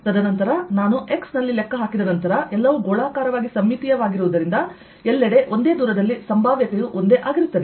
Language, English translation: Kannada, and then if once i calculate at x, since everything is spherically symmetric everywhere around at the same distance, the potential would be the same